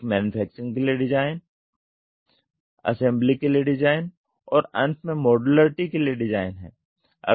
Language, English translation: Hindi, One is design for manufacturing, design for assembly and design for modularity